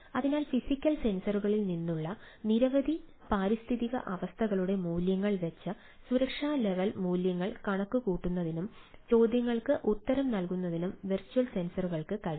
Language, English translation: Malayalam, so virtual sensor can use reading of number of environmental condition from physical sensor to compute safety level values and answer the query type of things